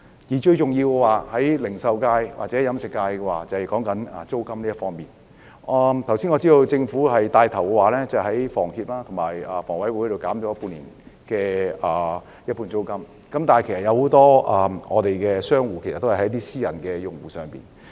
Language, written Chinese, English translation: Cantonese, 對於零售界和飲食業界，最重要的是租金問題，我知道政府已牽頭向房協和香港房屋委員會的租戶提供半年租金減免，但很多商戶租用的是私人物業。, To the retail and catering sectors rent is the most crucial problem . I know the Government has taken the lead to provide the tenants of HKHS and the Hong Kong Housing Authority with rental concessions for six months but many shop operators have rented private premises